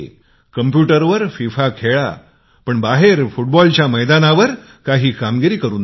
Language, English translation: Marathi, Play FIFA on the computer, but sometimes show your skills with the football out in the field